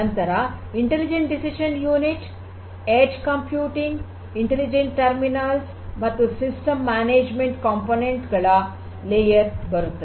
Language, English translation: Kannada, Then comes this layer of intelligent decision unit and edge computing, and the intelligent terminals, and system management components